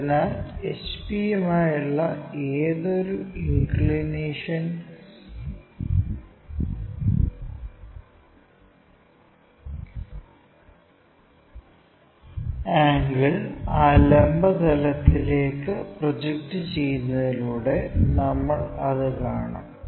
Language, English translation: Malayalam, So, any inclination angle with hp we will be seeing that by projecting onto that vertical plane